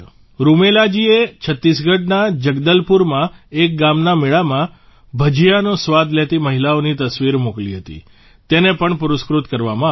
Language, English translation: Gujarati, Rumelaji had sent a photo of women tasting Bhajiya in a village fair in Jagdalpur, Chhattisgarh that was also awarded